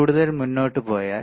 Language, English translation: Malayalam, If we go further if we go further